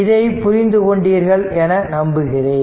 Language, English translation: Tamil, Hope it is understandable to you